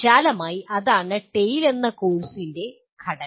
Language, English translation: Malayalam, So broadly that is the structure of the course TALE